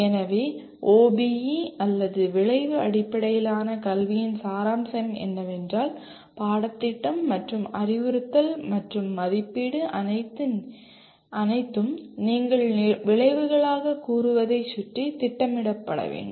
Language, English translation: Tamil, So the essence of OBE or outcome based education is that the curriculum and instruction and assessment are all to be planned around what you state as outcomes